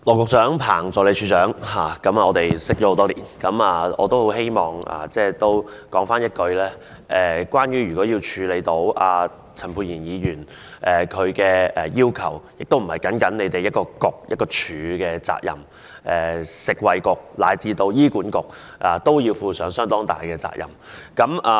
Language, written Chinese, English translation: Cantonese, 羅局長、彭助理署長，我們認識多年，我很希望說一句，如果要處理陳沛然議員的要求，不僅是一個政策局及一個署的責任，食物及衞生局以至醫院管理局都要負上相當大的責任。, Secretary Dr LAW and Assistant Director Ms PANG as we know each other for many years I really want to tell you that if you are to deal with what Dr Pierre CHAN is asking for it is certainly something not limited to a Policy Bureau or a department . The Food and Health Bureau and the Hospital Authority also have to assume a major share of the responsibility